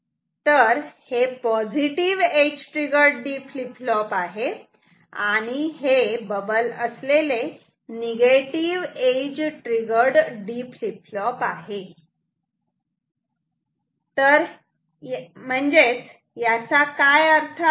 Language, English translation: Marathi, This is positive edge triggered flip flop and this is negative edge triggered D flip flop; that means, what does that mean